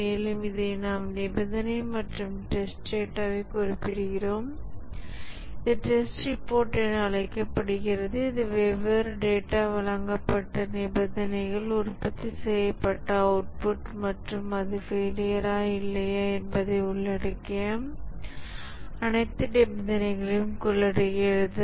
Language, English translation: Tamil, And this we note it down the condition and the test data and this is called as the test report which contains all the conditions under which different data were given, the output produced and whether it was a failure or not